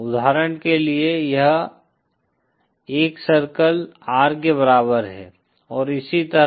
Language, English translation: Hindi, For example, this is the R equal to 1 circle and so on